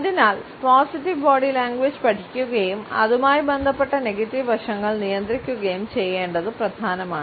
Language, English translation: Malayalam, And therefore, it is important to learn positive body language and control the negative aspects associated with it